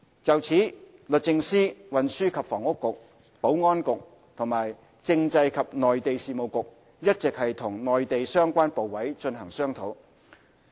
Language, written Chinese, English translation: Cantonese, 就此，律政司、運輸及房屋局、保安局和政制及內地事務局一直與內地相關部委進行商討。, The Department of Justice the Transport and Housing Bureau the Security Bureau and the Constitutional and Mainland Affairs Bureau have been discussing this with the relevant Mainland authorities